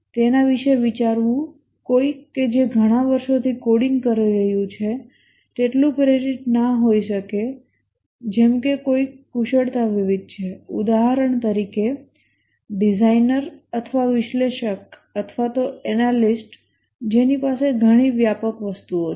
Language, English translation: Gujarati, To think of it, just somebody who is doing coding over several years may not be as highly motivated as somebody who is having skill variety, for example a designer or an analyst who is having a much wider things to do